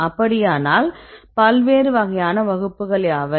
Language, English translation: Tamil, So, in this if so, what are the different types of classes